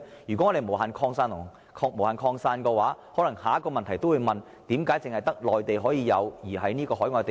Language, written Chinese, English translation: Cantonese, 如果能夠無限擴展，下一個問題便是為何只適用於內地而非海外地方？, If their coverage can be extended infinitely the next problem we have to face is Why are they applicable only to the Mainland but not to overseas places?